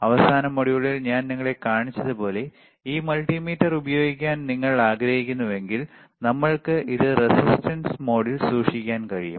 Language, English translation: Malayalam, So, here if you want to use this multimeter, like I have shown you in the last module, we can we can keep it in the resistance mode